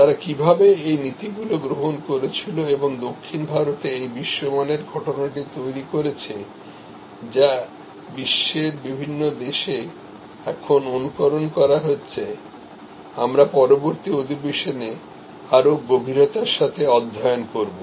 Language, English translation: Bengali, How they adopted those principles and created this world class phenomenon in South India now emulated in so, many countries across the world, we will study in greater depth in the next session